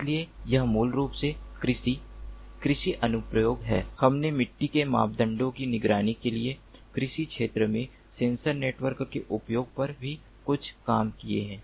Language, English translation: Hindi, we have also done some work on the use of sensor networks in the agricultural field for monitoring the soil parameters